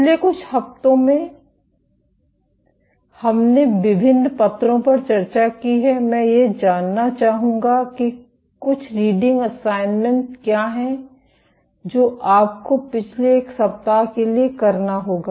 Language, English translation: Hindi, In the past few weeks; in the past few weeks we have discussed various papers I would like to list what are some reading assignments that you would have to do for the last one week